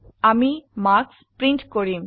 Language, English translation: Assamese, we shall print the marks